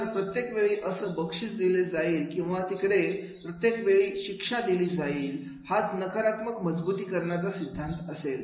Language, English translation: Marathi, So every time that reward will be given or there will be the every time the punishment will be given that will be negative reinforcement theory